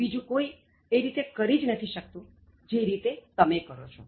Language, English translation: Gujarati, Nobody else can do it the way you are able to do that